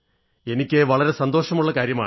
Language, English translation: Malayalam, That gave me a lot of satisfaction